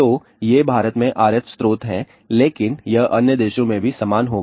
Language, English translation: Hindi, So, these are RF sources in India, but it would be similar thing in other countries also